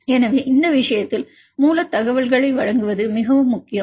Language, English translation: Tamil, So, in this case it is very important to provide the source information